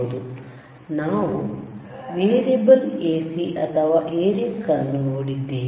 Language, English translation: Kannada, And we have seen a variable AC or variac